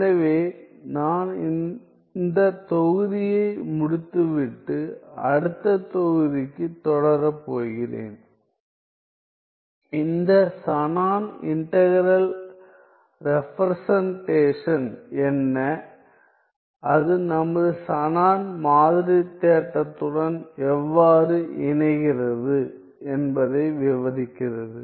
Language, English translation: Tamil, So, I am going to end this module and continue to the next module, describing what is this Shannon integral representation and how does it connect with our Shannon sampling theorem